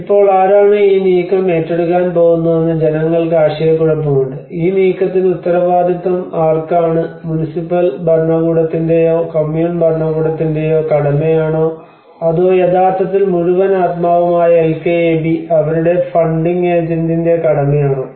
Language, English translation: Malayalam, Now the people has a confusion who is going to take the move who is responsible for the move because whether it is a duty of the municipal administration or Kommun administration or it is a duty of the their funding agent to who are actually the whole and soul mining institution LKAB